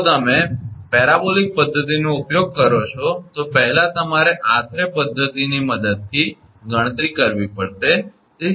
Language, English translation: Gujarati, If you use parabolic method then first you have to calculate approximate method using